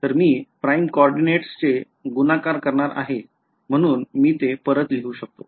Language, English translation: Marathi, So, because I am multiplying by prime coordinates, I can this is just once again I will write it